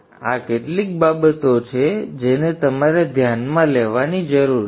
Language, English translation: Gujarati, So these are some things that you need to take into account